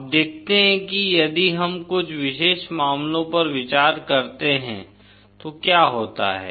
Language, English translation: Hindi, Now let us see what happens if we consider some special cases